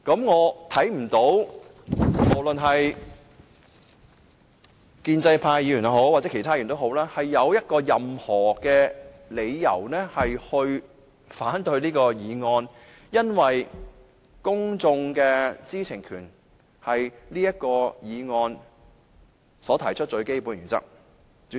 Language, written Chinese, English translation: Cantonese, 我不認為建制派議員或其他議員有任何理由可反對這項議案，因為此議案建基於公眾知情權這項最基本的原則。, I cannot see why pro - establishment Members or some other Members will object to this motion given that it is based on the most basic principle ie . the publics right to know